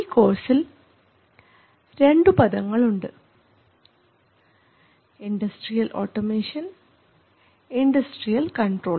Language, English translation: Malayalam, So, this is a course on industrial automation and control and